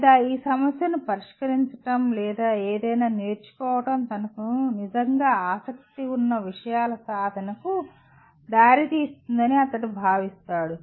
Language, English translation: Telugu, Or he thinks that solving this problem or learning something will lead to achievement of things that he is truly interested